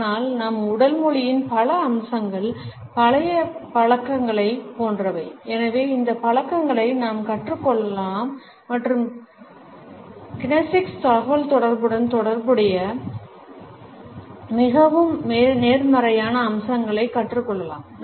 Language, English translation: Tamil, But, several aspects of our body language are like old habits and therefore, we can unlearn these habits and learn more positive aspects associated with the kinesics communication